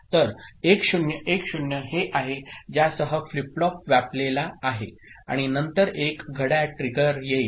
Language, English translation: Marathi, So, 1 0 1 0 this is with which the flip flop is occupied with and then one clock trigger comes